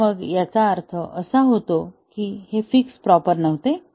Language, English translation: Marathi, So, then, the meaning is that, the fix was not proper